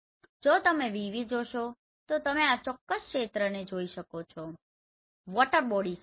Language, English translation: Gujarati, If you see VV you can see this particular area this is water body